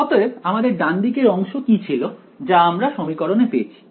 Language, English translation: Bengali, So, what was the right hand side that we had in this equation